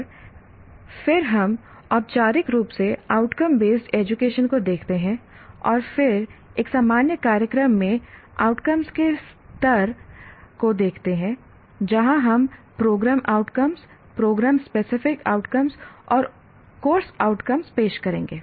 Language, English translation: Hindi, And then we look at outcome based education formally and then levels of outcomes in a general program that is where we will introduce the words, program outcomes, program specific outcomes and course outcomes